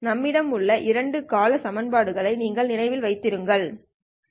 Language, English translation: Tamil, So you remember the two term equations that we have